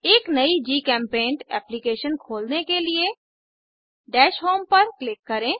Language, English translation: Hindi, To open a new GChemPaint application, click on Dash home